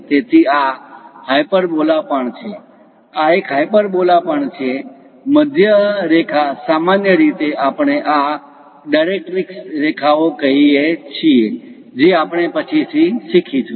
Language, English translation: Gujarati, So, this is also hyperbola; this one is also hyperbola; the middle line usually we call this directrix lines, which we will learn later